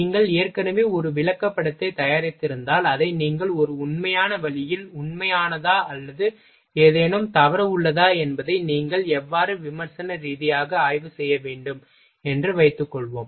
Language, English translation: Tamil, Suppose that if you are prepared already a chart, then how you will you will have to judge it critical examined, whether you have made it actual in an actual way or something wrong is there